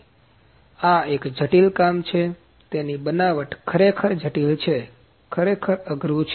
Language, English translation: Gujarati, So, this is a complicated job, so its fabrication is really complicated, really tough